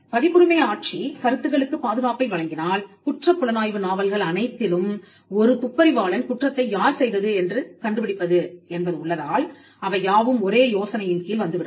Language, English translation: Tamil, So, you could if copyright regime were to grant protection on ideas, then all crime thrillers where say a detective solves a crime would technically fall within the category of covered by the same idea